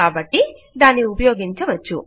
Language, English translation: Telugu, so it can be used